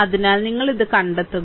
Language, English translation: Malayalam, So, you find out this one